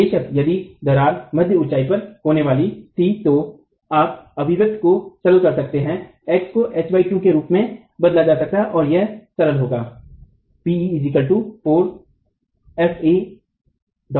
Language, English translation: Hindi, Of course, if the crack were to occur at mid height, you can simplify their expression, X can be replaced as H by 2, and that will simplify as 4 times F